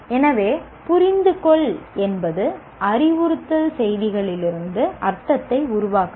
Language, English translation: Tamil, Understanding is constructing meaning from instructional messages